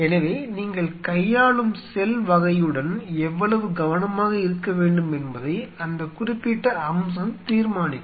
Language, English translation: Tamil, So, that particular aspect will determine how much carefully have to be with cell type you are dealing with